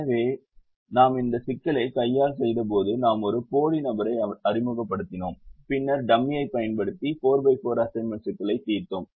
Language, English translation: Tamil, so when we did this problem by hand, we introduced a dummy, we introduced a dummy person and then we solved a four by four assignment problem using the dummy